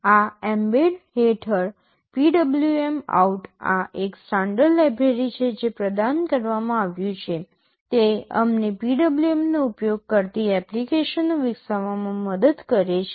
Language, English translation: Gujarati, Under mbed this PWMOut is a standard library that is provided, it helps us in developing applications that use a PWM